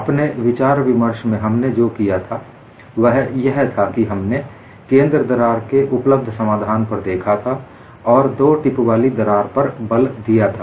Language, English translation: Hindi, For our discussion, what we did was, we took the available solution for a central crack and it is emphasized crack with two tips